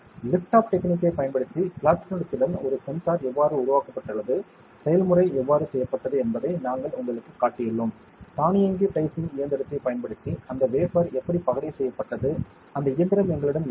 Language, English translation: Tamil, We have shown you how we have made a sensor with platinum using lift off technique, how the process was done; how that wafer was diced using an automatic dicing machine we did not we do not have that machine in our premises